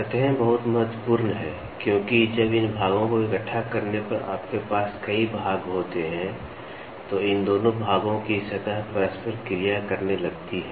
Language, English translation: Hindi, Surfaces are very important because, when you have when you have several parts, when these parts are assembled, the surface of these two parts starts interacting